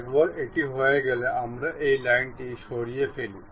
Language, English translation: Bengali, Once it is done we remove this line, ok